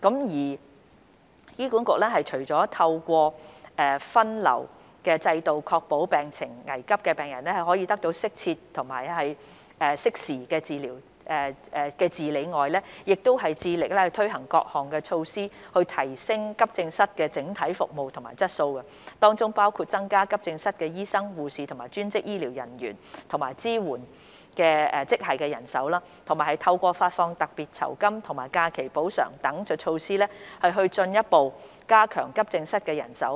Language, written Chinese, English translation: Cantonese, 二醫管局除了透過分流制度確保病情危急的病人可以得到適時及適切的治理外，亦致力推行各項措施，提升急症室的整體服務質素，當中包括增加急症室醫生、護士、專職醫療人員及支援職系人手，以及透過發放特別酬金和假期補償等措施，進一步加強急症室人手。, 2 Apart from adopting the triage system to ensure that patients in emergency condition would receive timely and appropriate treatment HA is also committed to improving the overall quality of AE services by implementing various measures including increasing manpower of doctors nurses allied health professionals and supporting staff in AE departments as well as further augmenting AE manpower through the provision of special honorarium and leave encashment